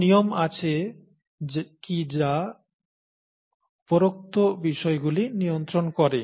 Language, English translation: Bengali, Are there rules that govern the above